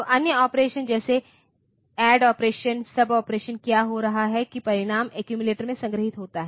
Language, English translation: Hindi, So, other operation like add operation sub operation what is happening is that the result is stored in the accumulator